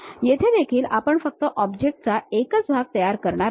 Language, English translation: Marathi, Here also we are going to prepare only one single object part